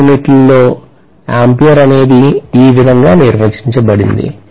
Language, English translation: Telugu, This is how in SI units’ ampere is defined